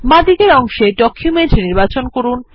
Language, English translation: Bengali, On the left pane, select Document